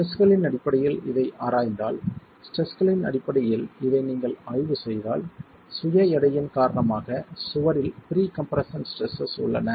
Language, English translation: Tamil, If you were to examine this in terms of the stresses, you have pre compression stresses in the wall because of the self weight and because of the superimposed loads